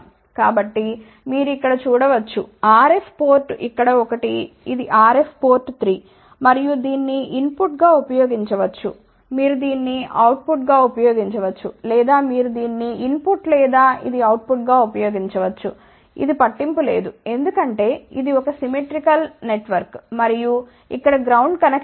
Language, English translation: Telugu, So, you can see over here there is a 1 R f port here one this is a R f port 3, you can use this as a input you can use this as a output or you can use this as input or this can be used as output, it does not matter because it is a symmetrical network and there is a ground connection over here